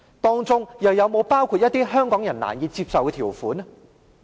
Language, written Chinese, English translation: Cantonese, 當中又會否包括一些香港人難以接受的條款？, Will there be terms unacceptable to Hong Kong people?